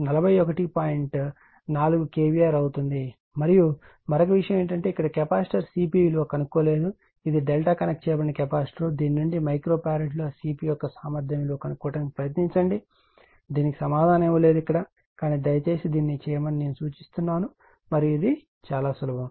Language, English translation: Telugu, 4kVAr , and and another thing is there the capacitor C P value not computed here, it is a delta connected capacitor from this also you try to find out what is the value of C P right a capacity in micro farad that answer is not given here, but I suggest you please do it and this one is very simple thing you do it upto your own right